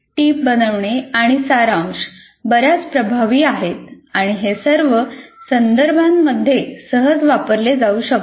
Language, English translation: Marathi, So note making and summarization is quite effective and it can be readily used in all contexts